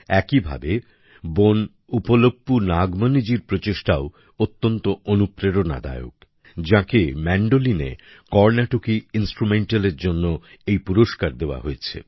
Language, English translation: Bengali, Similarly, the efforts of sister Uppalpu Nagmani ji are also very inspiring, who has been awarded in the category of Carnatic Instrumental on the Mandolin